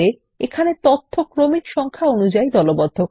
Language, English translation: Bengali, This groups the data by Serial Number